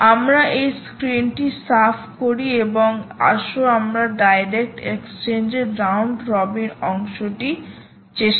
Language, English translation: Bengali, lets clear this screen and lets try the round robin part of the direct exchange